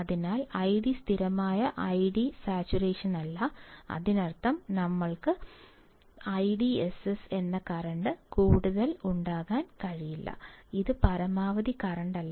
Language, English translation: Malayalam, So, that is not that I D is constant id saturation; that means, that we cannot have more than I DSS, it’s not a maximum current